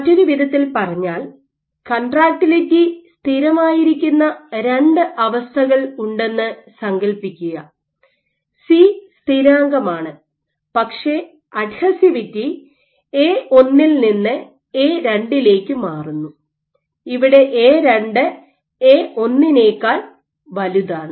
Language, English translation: Malayalam, In other words, imagine I have two conditions in which contractility is constant; C is constant, but adhesivity changes from A1 to A2 where, A2 is significantly greater than A1